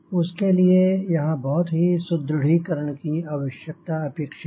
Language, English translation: Hindi, so here lots of reinforcement required, required